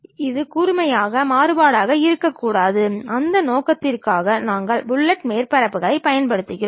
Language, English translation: Tamil, It should not be sharp variation, for that purpose also we use fillet surfaces